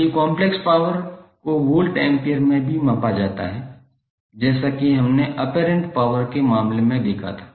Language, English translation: Hindi, So the apparent power, complex power is also measured in the voltampere as we saw in case of apparent power